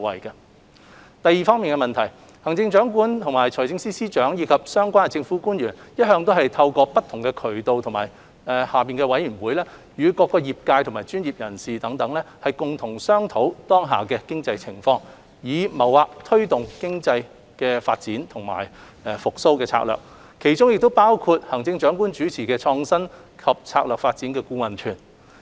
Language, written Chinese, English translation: Cantonese, 二行政長官、財政司司長及相關政府官員一向透過不同渠道及轄下委員會，與各業界及專業人士共同商討當下的經濟情況，以謀劃推動經濟發展的復蘇策略，其中包括行政長官主持的創新及策略發展顧問團。, 2 The Chief Executive the Financial Secretary and other relevant government officials have been engaging different sectors and professionals through various channels and advisory bodies to discuss the current economic situation with a view to mapping out the strategy for economic development and recovery